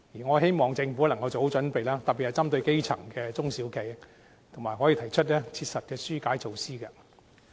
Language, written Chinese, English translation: Cantonese, 我希望政府能夠做好準備，特別是針對基層的中小企，可以提出切實的紓困措施。, I hope that the Government can be fully prepared and can introduce pragmatic relief measures in particular to the small and medium enterprises at the grass - roots level